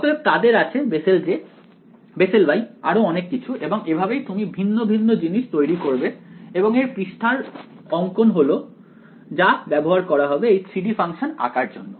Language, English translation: Bengali, So, they have Bessel J, Bessel Y and so on that is how you generate this different things and the surface plot is what you will used to plot this 3 D function ok